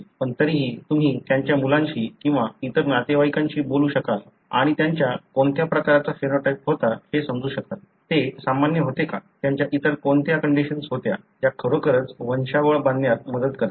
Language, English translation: Marathi, But still, you will be able to talk to their children or other relatives and still you will be able to understand what kind of phenotype they had; whether they were normal, what are the other conditions they had that really helps in constructing a pedigree